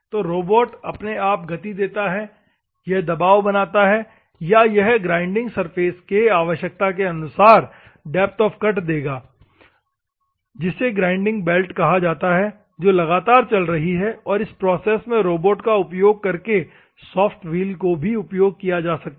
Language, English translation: Hindi, So, the robot having it is own motions, and it presses, or it will give the depth of cut as per the requirement against the grinding surface that is called the grinding belt which is continuously moving you can do, and soft wheel also can be used to machine this time using the robot